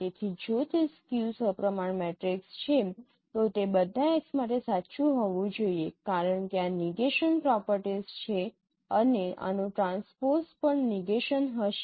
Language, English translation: Gujarati, So if it is a skew symmetric matrix it has to be true for all x because of that negation properties that transpose of this is a negation